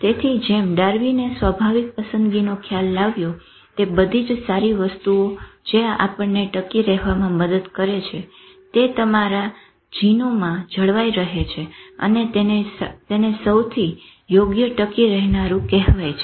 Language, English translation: Gujarati, So like Darwin brought out a concept of natural selection that all the good things which help you survive are retained in your genes and that is called survival of the fittest